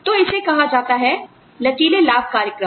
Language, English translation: Hindi, So, that is called, the flexible benefits program